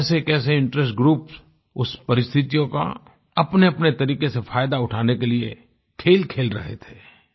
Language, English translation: Hindi, Various interest groups were playing games to take advantage of that situation in their own way